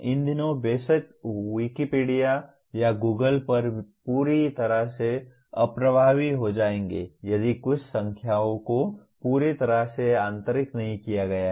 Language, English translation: Hindi, These days of course Wikipedia or Google you will be totally ineffective if some of the numbers are not thoroughly internalized